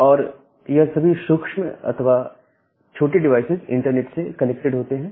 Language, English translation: Hindi, And all of this tiny or the small devices they get connected to the internet